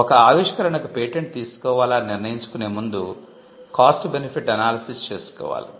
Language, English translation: Telugu, So, there is a cost benefit analysis you need to do before you decide whether something should be patented